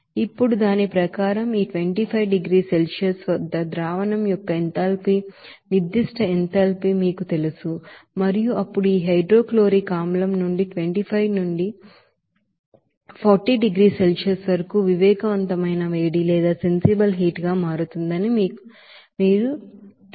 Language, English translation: Telugu, Now according to that what will be the you know enthalpy specific enthalpy of the solution at this 25 degrees Celsius and how then you know sensible heat will be changing out of this hydrochloric acid from the temperature from 25 to 40 degrees Celsius